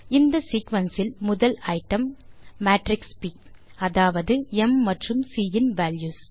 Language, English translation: Tamil, The first item in this sequence, is the matrix p i.e., the values of m and c